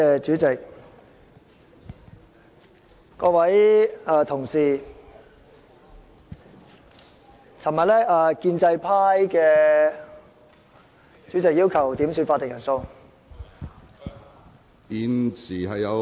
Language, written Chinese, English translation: Cantonese, 主席，各位同事，昨天建制派......主席，我要求點算法定人數。, President and Honourable colleagues yesterday the pro - establishment camp President I request a headcount